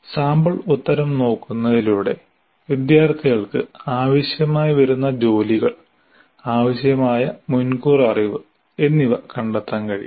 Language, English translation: Malayalam, By looking at the sample answer, the kind of work that is required, the kind of prerequisite knowledge that is required can be ascertained